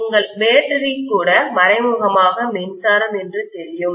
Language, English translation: Tamil, Even your battery indirectly is you know electricity basically